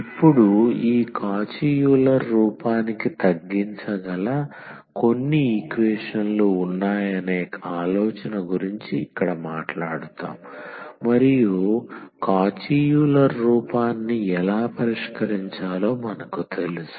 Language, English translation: Telugu, Now, here we will be talking about the idea that there are some equations which can be reduced to this Cauchy Euler form and then we know how to solve the Cauchy Euler form